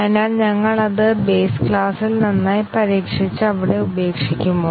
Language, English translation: Malayalam, So, do we test it well in the base class and leave it there